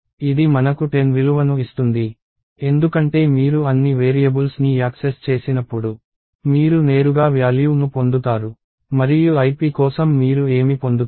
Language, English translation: Telugu, It will give us the value 10 itself, because all the variables when you access them, you directly get the value and what you get for ip